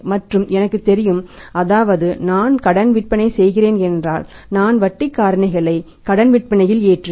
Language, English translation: Tamil, And I know that if I am going to sell on credit I am going to load my credit sales with the interest factor